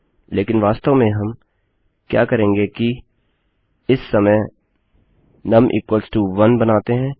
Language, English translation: Hindi, And what it basically does is, it increases num by 1